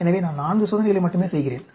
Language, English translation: Tamil, So, I am doing only 4 experiments